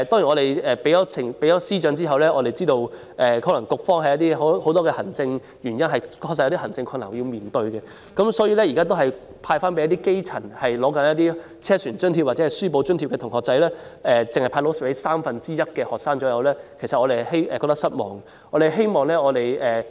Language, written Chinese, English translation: Cantonese, 我們向司長提出意見後，知道局方可能基於很多行政原因和面對行政困難，所以現時只是把津貼派發給正在領取車船津貼或書簿津貼的基層同學，大約只有三分之一的學生能夠受惠，我們對此感到失望。, After we have expressed our views to the Financial Secretary we know that the authorities may have many administrative reasons and difficulties so allowances are only given to grass - roots students who are receiving assistance under the Student Travel Subsidy Scheme or the School Textbook Assistance Scheme . As only about one third of all students can be benefited we are disappointed